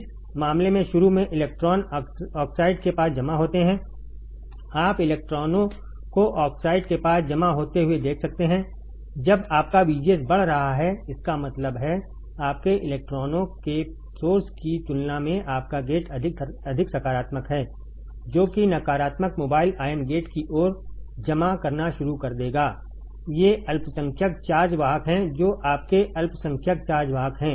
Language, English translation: Hindi, In this case initially electrons accumulate near the oxide, you can see the electrons accumulating near the oxide right when your VGS is increasing; that means, your gate is more positive than compared to source your electrons that is the negative mobile ions will start accumulating towards the gate these are minority charge carriers these are your minority charge carriers